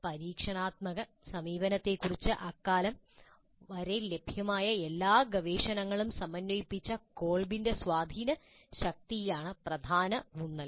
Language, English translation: Malayalam, But the major thrust was due to the influential work of Kolb who synthesized all the research available up to that time regarding experiential approaches